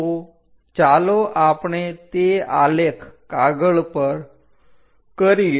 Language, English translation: Gujarati, So, let us do that on the graph sheet